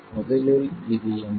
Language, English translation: Tamil, And what is that